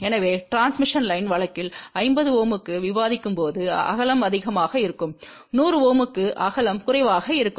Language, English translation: Tamil, So, as we discuss in the transmission line case for 50 Ohm, width will be more and for 100 Ohm, width will be less